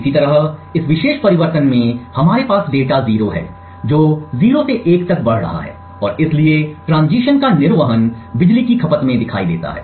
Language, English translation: Hindi, Similarly, in this particular transition we have data 0 which is moving from 0 to 1 and therefore the discharging of the capacitor shows up in the power consumption